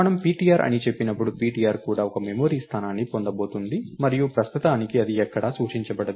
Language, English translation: Telugu, When we say ptr, ptr is also going to get one memory location and as of now, its not pointing anywhere